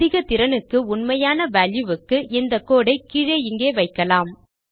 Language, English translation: Tamil, So, for maximum efficiency and to get the actual correct value Ill put this code down there